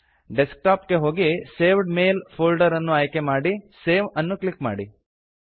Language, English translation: Kannada, Browse for Desktop and select the folder Saved Mails.Click Save